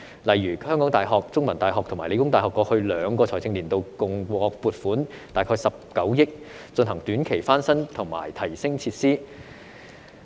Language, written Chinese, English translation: Cantonese, 例如香港大學、香港中文大學和香港理工大學過去兩個財政年度，共獲撥款大概19億元，進行短期翻新及提升設施。, For example the University of Hong Kong The Chinese University of Hong Kong and The Hong Kong Polytechnic University have received a total funding of about 1.9 billion for short - term renovation works and facility enhancement in the past two financial years